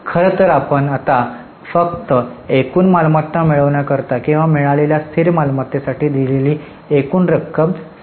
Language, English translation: Marathi, In fact now we are only concerned with the total amount which is either received or paid for fixed assets